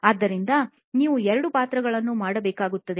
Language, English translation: Kannada, So, you will have to do two roles